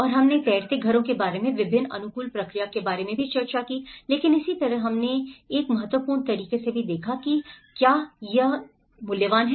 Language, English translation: Hindi, And we also discussed about various adaptation process about floating houses but similarly, we also looked in a critical way of, is it worth